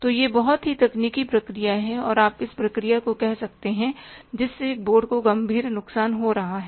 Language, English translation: Hindi, So, this is the very say technical process and you can call it as the process which is causing the serious losses to the board